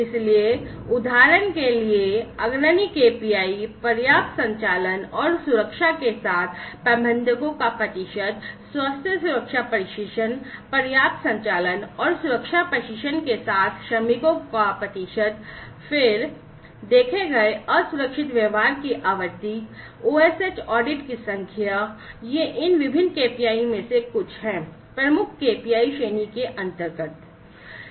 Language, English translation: Hindi, So, leading KPIs for example, percentage of managers with adequate operational and safety, health safety training, percentage of workers with adequate operational and safety training, then, frequency of observed unsafe behavior, number of OSH audits, these are some of these different KPIs under the leading KPIs category